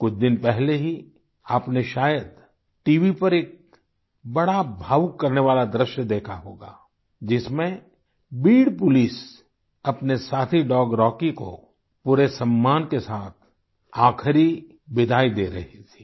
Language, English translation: Hindi, You might have seen a very moving scene on TV a few days ago, in which the Beed Police were giving their canine colleague Rocky a final farewell with all due respect